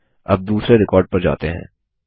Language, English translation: Hindi, Let us go to the second record now